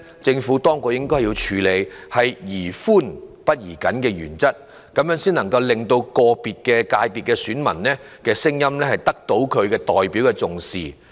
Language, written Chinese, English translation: Cantonese, 政府當局應採取宜寬不宜緊的原則，讓個別界別的選民聲音得到重視。, It is better for the authorities to be loose than rigid so that the views of electors in individual FCs will be taken seriously